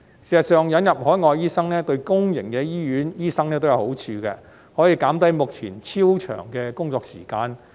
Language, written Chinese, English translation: Cantonese, 事實上，引入海外醫生對公營醫院醫生也有好處，可以減低目前超長的工作時間。, In fact the admission of overseas doctors will also be beneficial to doctors of public hospitals for it can reduce the latters present super long working hours